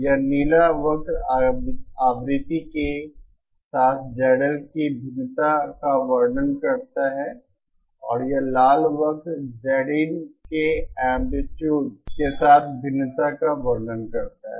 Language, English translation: Hindi, This blue curve represents the variation of Z L with frequency and this red curve represents the variation of Z in Z in with amplitude